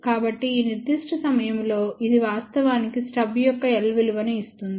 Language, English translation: Telugu, So, at this particular point, this is the point which actually gives rise to the value of l stuff and that comes out to be 0